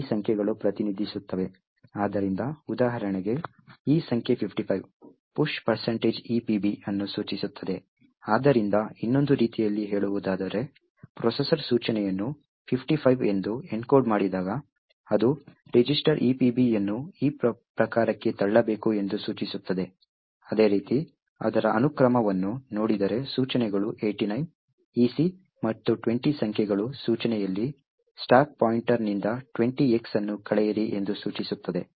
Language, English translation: Kannada, So, for example this number 55 implies push percentage EBP, so in another words, when the processor sees an instruction encoded as 55, it would imply that it has to push this register EBP into this type, similarly, if it sees the sequence of numbers 89, EC and 20 present in the instruction it would imply that the instruction is subtract 20X from the stack pointer